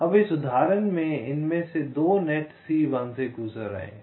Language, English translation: Hindi, now, in this example, two of this nets are passing through c one